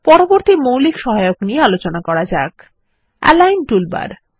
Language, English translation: Bengali, Let us move on to the next basic aid Align toolbar